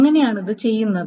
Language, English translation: Malayalam, Now, how is that being done